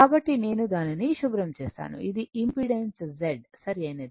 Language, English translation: Telugu, So, let me clear it so this is my impedance Z right this is my Z